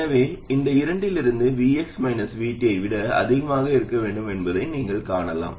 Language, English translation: Tamil, So from these two you can see that VX has to be greater than minus VT